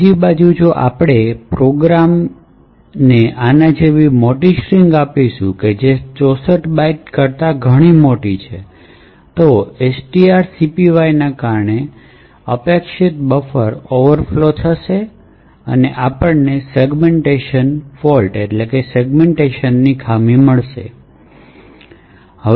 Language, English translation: Gujarati, On the other hand if we give the program a very large string like this, which is much larger than 64 bytes, then as expected buffer will overflow due to the long string copy which is done and we would get a segmentation fault